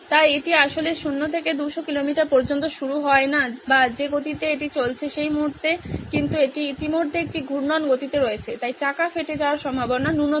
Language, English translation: Bengali, So it does not actually start from 0 to 200 kilometre or whatever speed it is going at, at that moment but it is already at a rotating speed so the tyre ware is minimal